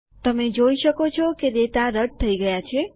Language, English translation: Gujarati, You see that the data gets deleted